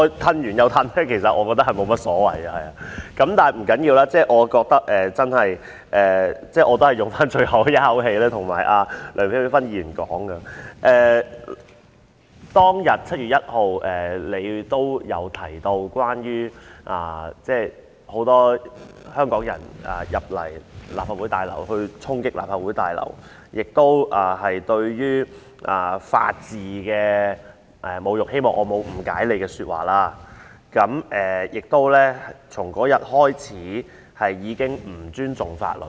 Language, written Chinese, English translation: Cantonese, 不要緊，我認為我仍要以最後一口氣告訴梁美芬議員，就7月1日當天發生的事，她也曾提及有許多香港人進入立法會大樓進行衝擊，那是對法治的侮辱——希望我沒有誤解她的意思——亦是自那天開始，人們已不再尊重法律。, I think I still have to with my last breath tell Dr LEUNG that in light of what happened on 1 July she has also mentioned that a lot of Hong Kong people entered the Legislative Council Complex to storm the place which was an insult to the rule of law―I wish that I did not misunderstand her―and that day also marked the beginning of peoples not respecting the law